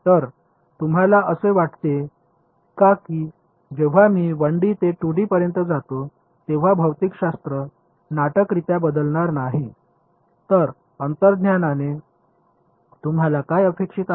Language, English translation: Marathi, So, do you think I mean the physics will not dramatically change when I go from 1D to 2D, so what do you intuitively expect to happen